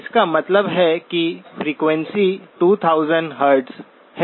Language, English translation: Hindi, This means the frequency is 2000 Hz